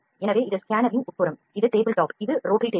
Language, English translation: Tamil, So, this is the inside of the scanner, this is the table top, this is table top which is rotary table